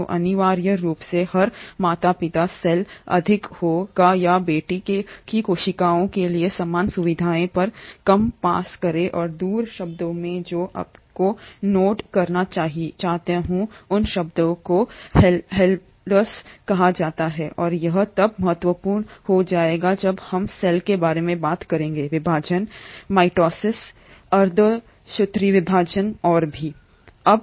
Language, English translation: Hindi, So essentially every parent cell will more or less pass on same features to the daughter cells and the other term that I want you to note is that term called haploids and this will again become important when we talk about cell division, mitosis, meiosis and all